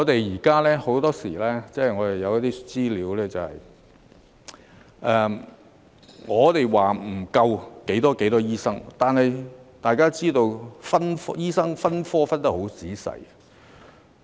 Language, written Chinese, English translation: Cantonese, 此外，很多時候，有資料指出我們欠缺多少名醫生，但大家要知道，醫生分科分得很仔細。, In addition very often there is information on the shortfall of doctors in Hong Kong but Members should be aware that doctors are classified according to their specialization into many categories